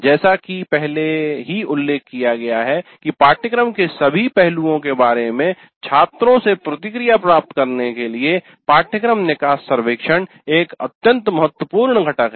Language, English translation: Hindi, As already noted, the course exit survey is an extremely important component to obtain feedback from the students regarding all aspects of the course